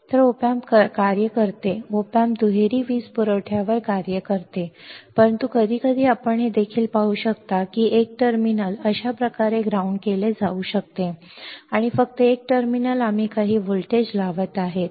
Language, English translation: Marathi, So, op amp works, op amp works on a dual power supply, but sometimes we will also see that one terminal can be grounded like this; and only one terminal we are applying some voltage